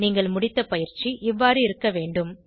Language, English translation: Tamil, Your completed assignment should look as follows